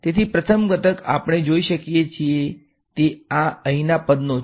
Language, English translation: Gujarati, So, the first component we can see is this guy over here